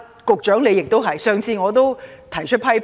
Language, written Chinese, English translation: Cantonese, 局長亦如是，我曾提出批評。, The same applies to the Secretary and I have once raised some criticisms